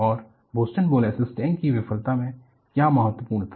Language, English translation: Hindi, And, what was important in Boston molasses tank failure